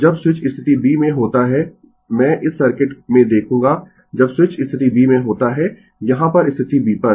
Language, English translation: Hindi, So, when switch is in position b I will look into this circuit when switch is in position b at the here at the position b